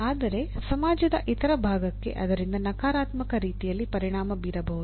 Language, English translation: Kannada, But other segment of the society may get affected by that in a negative way